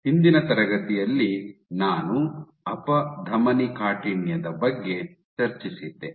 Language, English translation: Kannada, In the last class I discussed about Atherosclerosis